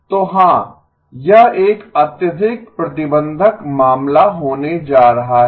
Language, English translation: Hindi, So yes so this is going to be a highly restrictive case